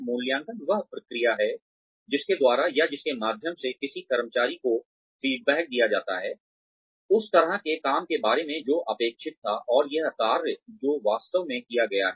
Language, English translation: Hindi, Appraisal is the process by which, or through which, an employee is given feedback, regarding the kind of work, that was expected, and the work that has actually been done